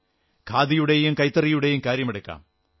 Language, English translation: Malayalam, Take the examples of Khadi and handloom